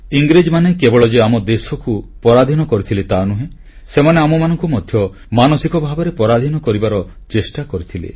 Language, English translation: Odia, The Britishers not only made us slaves but they tried to enslave us mentally as well